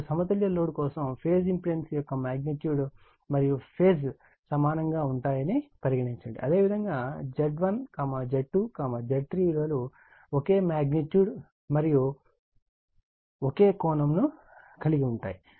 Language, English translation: Telugu, Now, for balanced load phase impedance are equal in magnitude and in phase right that means, your Z 1, Z 2, Z 3 are in this same magnitude and same angle right, then it is balanced